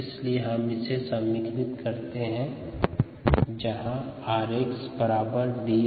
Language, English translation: Hindi, so if we equate this and this, r x is nothing but d x d t